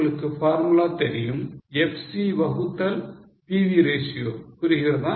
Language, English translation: Tamil, You know the formula FC divided by PV ratio